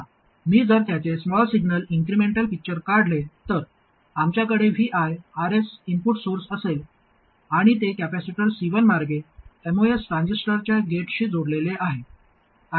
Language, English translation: Marathi, Now if I draw the small signal incremental picture of this, we will have the input source VI, RS, and it's connected through capacitor C1 to the gate of the most transistor